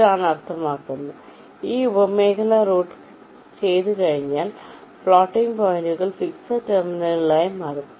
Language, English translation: Malayalam, so once this sub region is routed, the floating points will become fixed terminals